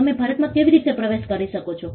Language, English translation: Gujarati, How do you enter India